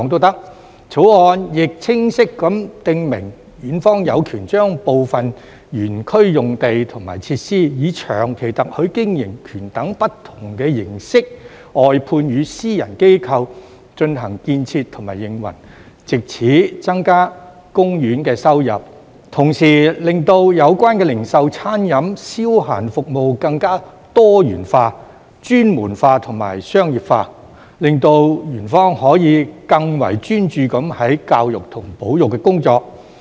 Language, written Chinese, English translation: Cantonese, 《條例草案》亦清晰地訂明，園方有權將部分園區用地及設施以長期特許經營權等不同形式外判予私人機構進行建設和營運，藉此增加公園收入，同時令有關的零售、餐飲及消閒服務更多元化、專門化和商業化，令園方可以更專注於教育和保育的工作。, The Bill also clearly specifies that Ocean Park has the right to outsource certain sites and facilities in the Park to private organizations for construction and operation under a long - term concession or other modes to increase its income and to better diversify professionalize and commercialize the retail dining and entertainment services so that Ocean Park can focus more on its education and conservation efforts